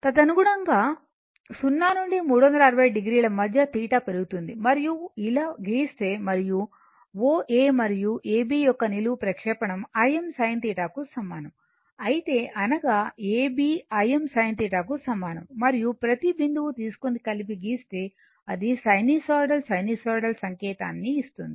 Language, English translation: Telugu, And accordingly theta is increasing theta in between 0 to 360 degree, and if you plot like this and O A and your vertical projection of A B is equal to os sin theta; that is, A B is equal to I m sin theta, and if you take each point and plot it it will give you sinusoidal your what you call sinusoidal signal, right